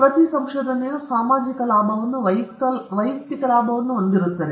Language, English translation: Kannada, Every research will have social a benefit, a personal benefit